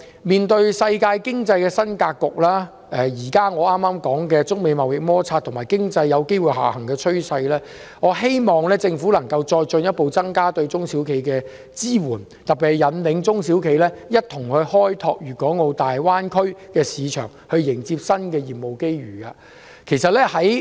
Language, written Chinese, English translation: Cantonese, 面對世界經濟的新格局、我剛才提到的中美貿易摩擦，以及經濟下行風險，我希望政府能進一步增加對中小企的支援，特別是引領中小企一同開拓大灣區市場，迎接新的業務機遇。, In the face of a new global economic landscape the above mentioned trade conflicts between China and the United States as well as the risks of economic downturn I hope that the Government will step up the support for SMEs further in particular by giving SMEs guidance in exploring the market in the Greater Bay Area and taking advantage of the new opportunities available